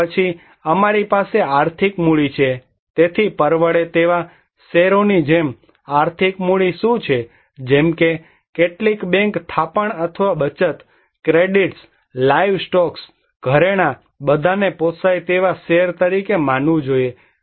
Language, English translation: Gujarati, And then we have a financial capital, so what are the financial capital like affordable stocks: like some bank deposit or savings, credits, livestocks, jewelry, all should be considered as affordable stocks